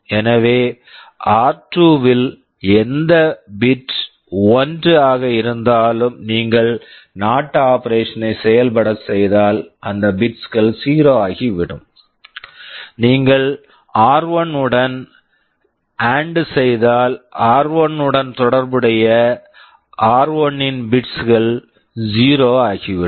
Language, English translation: Tamil, So, that in r2 whichever bit is 1, if you do NOT those bits will become 0; if you do AND with r1 those corresponding bits of r1 will become 0